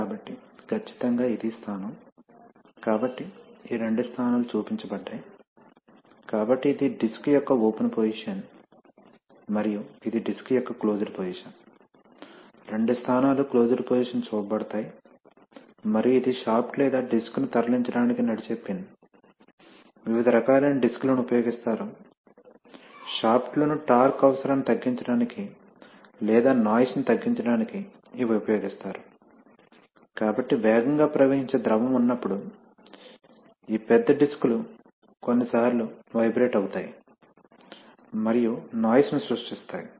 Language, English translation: Telugu, So exactly that is the position, so the, these two positions are shown, so this is the open position of the disc, open position and this is the closed position of the disc, both positions are shown closed position, and this is the shaft or pin which is driven to move the disc, various shapes of discs are used to do, you know again to reduce the torque requirement on the shaft or to reduce noise, so these such big discs when you have a fast flowing fluid can sometimes vibrate and create noise